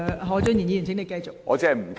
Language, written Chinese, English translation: Cantonese, 何俊賢議員，請繼續發言。, Mr Steven HO please continue with your speech